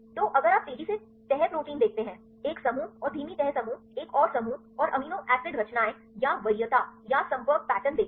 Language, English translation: Hindi, So, if you see the fast folding proteins one; one group and the slow folding groups another group and see the amino acid compositions or the preference or the contacting pattern